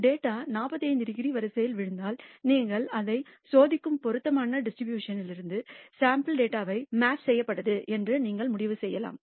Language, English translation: Tamil, And if the data falls on the 45 degree line, then you can conclude that the sample data has been drawn from the appropriate distribution you are testing it against